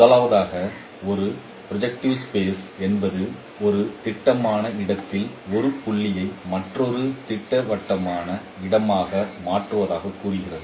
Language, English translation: Tamil, Firstly, this property says that a projective transformation is a transformation of a point in a projective space to a point in another projective space